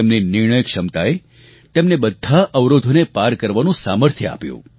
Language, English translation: Gujarati, His decision making ability infused in him the strength to overcome all obstacles